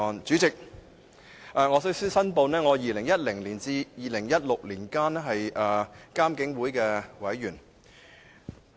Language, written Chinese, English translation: Cantonese, 主席，首先，我要申報，我在2010年至2016年期間是獨立監察警方處理投訴委員會的委員。, President I would like to first declare that I was a member of the Independent Police Complaints Council IPCC between 2010 and 2016